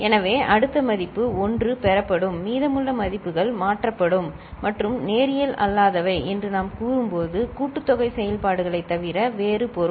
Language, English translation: Tamil, So, next value 1 will be getting in, and rest of the values will be shifted, and when we say non linear that means other than sum operations